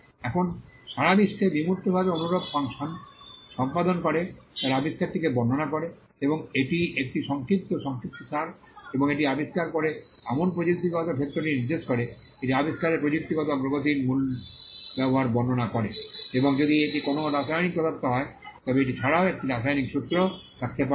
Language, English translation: Bengali, Now, abstract the world over perform similar function they describe the invention and it is a concise summary and they indicate the technical field to which the invention belongs, it describes the technical advancement principal use of the invention and if it is a chemical substance, it also may contain a chemical formula